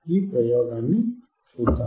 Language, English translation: Telugu, So, let us see this experiment